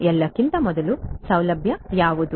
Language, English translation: Kannada, What is facility first of all